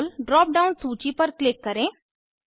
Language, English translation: Hindi, Click on Role drop down list